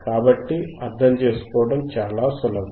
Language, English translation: Telugu, So, it is very easy to understand